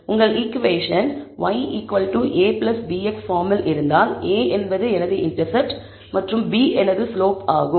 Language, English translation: Tamil, If your equation is of the form y equal to a plus bx, then a is my intercept and b is my slope